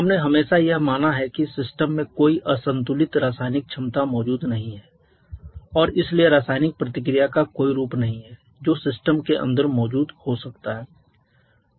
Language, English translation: Hindi, We have always assumed that there is no unbalanced chemical potential present in the system and hence there is no form of chemical reaction that can be present inside the system